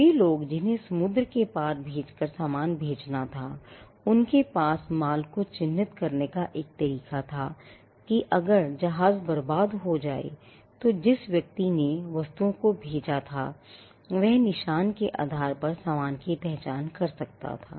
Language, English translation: Hindi, People who were selling goods which had to be shipped across the seas had a way to mark their goods so that if the ship got wrecked there was a way in which, the person who shipped the items could identify the goods based on the mark